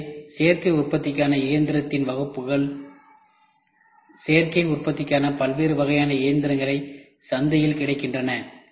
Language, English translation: Tamil, So, the classes of machine for additive manufacturing, there is a wide variety of machines for additive manufacturing available in the market